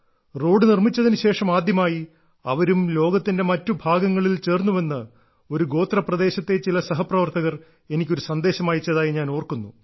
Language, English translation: Malayalam, I remember some friends from a tribal area had sent me a message that after the road was built, for the first time they felt that they too had joined the rest of the world